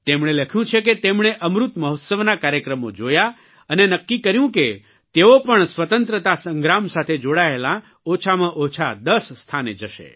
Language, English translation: Gujarati, He has written that he watched programmes on Amrit Mahotsav and decided that he would visit at least ten places connected with the Freedom Struggle